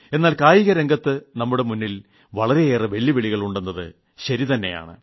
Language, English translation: Malayalam, It is true that in the field of sports we face a lot of challenges